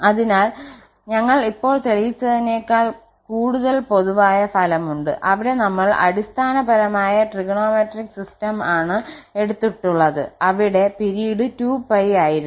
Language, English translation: Malayalam, So, the theorem, what is we have a more general result than what we have just proved where we have taken the basic the fundamental trigonometric system where the period was 2 pi